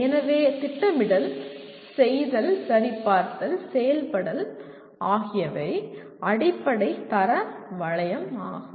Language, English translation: Tamil, So plan, do, check, and act is the basic quality loop